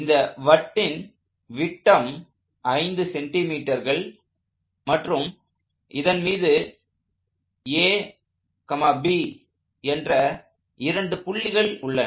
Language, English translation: Tamil, The disc is of diameter 5 centimeters, and I have two points located on that disc A, B